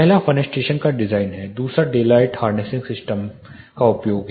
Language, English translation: Hindi, First is design of fenestrations second is use of daylight harnessing systems